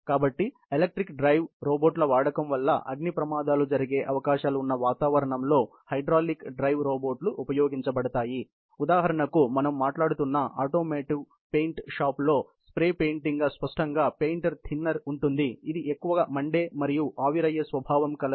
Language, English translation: Telugu, So, hydraulic drive robots are provided in environment, where there the use of electric drive robots may cause fire hazards; for example, when we are talking about spray painting in a paint shop in an automotive; obviously, there is going to be paint thinner, which is very highly inflammable and also, volatile